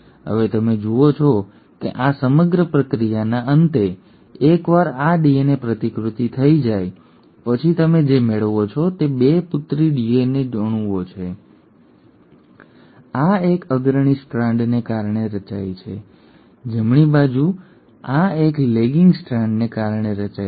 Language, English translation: Gujarati, Now you notice at the end of this entire process, once this DNA replication has happened what you end up getting are 2 daughter DNA molecules, this one formed because of a leading strand, right, and this one formed because of the lagging strand